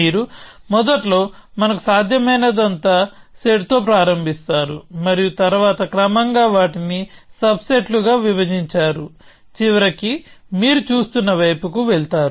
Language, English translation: Telugu, That you initially start with a set of all possible to us and then gradually partition them into subsets eventually homing on to towards you are looking at